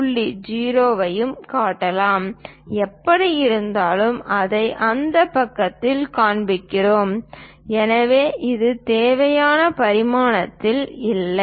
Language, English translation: Tamil, 0, anyway we are showing it on that side so, this is not at all required dimension